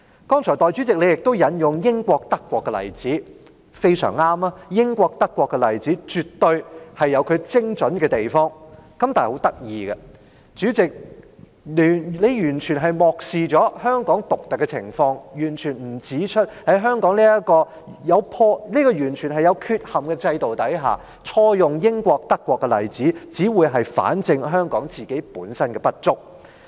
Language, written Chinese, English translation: Cantonese, 代理主席你剛才引用了英國和德國的例子，非常正確，英國和德國的例子絕對有其精準的地方，但很有趣，代理主席你完全漠視了香港獨特的情況，沒有指出在香港這個完全有缺憾的制度之下，錯用英國和德國的例子，只會反證香港本身的不足。, Deputy President you have cited the United Kingdom and Germany as examples earlier and most correctly at that . The examples of the United Kingdom and Germany are absolutely accurate . But most interestingly Deputy President you have completely neglected the unique situation of Hong Kong falling short of pointing out that under this utterly flawed system of Hong Kong the citing of these examples of United Kingdom and Germany wrongly only proves on the contrary the inadequacies of Hong Kong